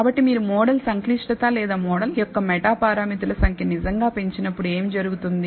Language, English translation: Telugu, So, schematically what happens when you actually increase the model complexity or the number of meta parameters of the model